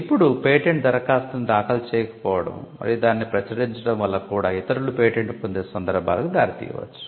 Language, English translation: Telugu, Now, not filing a patent application and merely publishing it could also lead to cases where it could be patented by others